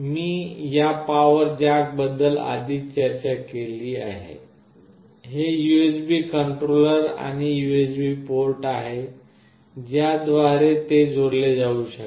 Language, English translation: Marathi, I have already discussed about this power jack, this is the USB controller, and USB port through which it can be connected